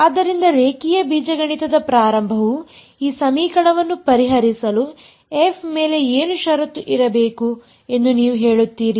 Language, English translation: Kannada, So, very beginning of linear algebra what do you say should be a condition on f for you to be able to solve this equation